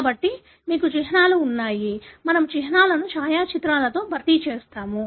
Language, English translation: Telugu, So, you have symbols; we have replaced the symbols with the photographs